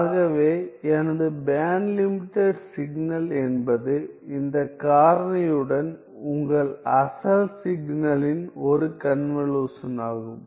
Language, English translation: Tamil, So, my band limited signal is a convolution of your original signal with this factor